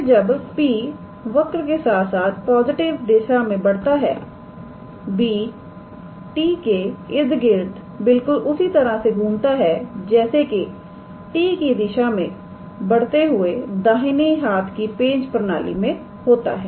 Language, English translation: Hindi, Then, as P moves along the curve in the positive direction, b revolves about t in the same sense as a right handed screw system, advancing in the direction of t